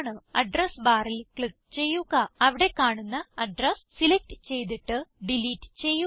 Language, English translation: Malayalam, Click on the Address bar, select the address displayed and delete it